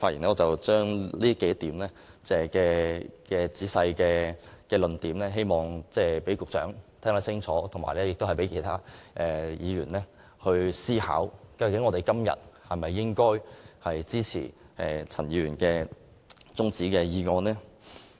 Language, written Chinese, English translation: Cantonese, 我會仔細說明這幾個論點，希望局長可以聽清楚，以及讓其他議員思考一下，應否支持陳議員提出的中止待續議案。, I am going to elaborate on these arguments I hope the Secretary will listen attentively and other Members will consider whether they should support the adjournment motion moved by Mr CHAN